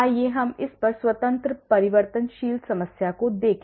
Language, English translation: Hindi, let us look at this is a 1 independent variable problem